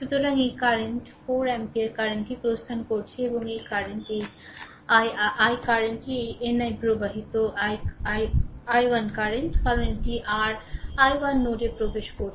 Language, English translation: Bengali, So, this current 4 ampere current is leaving right and this current this your i 1 current this is your i 1 current entering into the node, because this is your i 1 entering into the node